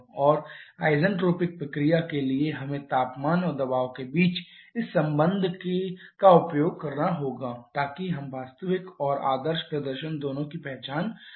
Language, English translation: Hindi, And for the isentropic process we have to make use of this kind of relation between temperature and pressure so that we can identify both actual and ideal performance